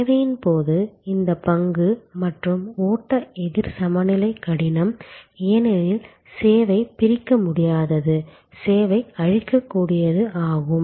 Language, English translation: Tamil, This stock and flow counter balancing is difficult in case of service, because service is inseparable, service is perishable